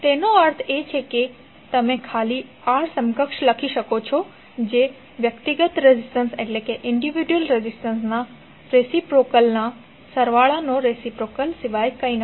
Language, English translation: Gujarati, It means that you can simply write R equivalent is nothing but reciprocal of the summation of the reciprocal of individual resistances, right